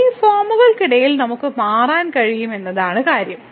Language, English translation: Malayalam, So, the point is that we can change between these form